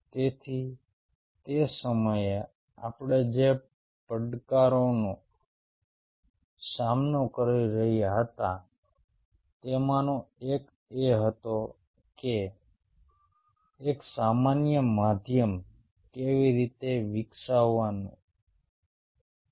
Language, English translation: Gujarati, so one of the challenge, what we were facing at that point of time, was how to develop a common medium